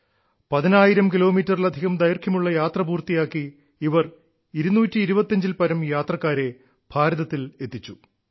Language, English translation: Malayalam, Travelling more than ten thousand kilometres, this flight ferried more than two hundred and fifty passengers to India